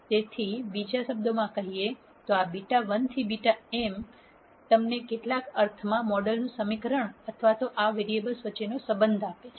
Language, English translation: Gujarati, So, in other words this beta 1 to beta m gives you in some sense a model equation or a relationship among these variables